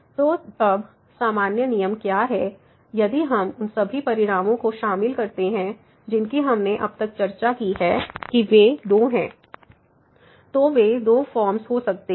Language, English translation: Hindi, So, what is the general rule now if we include those all results what we have discussed so far, that they are two they are could be two forms